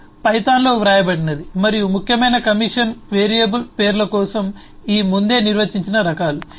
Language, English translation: Telugu, Its only that the code is written in python and the important commission is all these preceding predefined types for the variable names